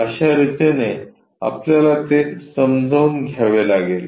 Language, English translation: Marathi, This is the way we have to understand that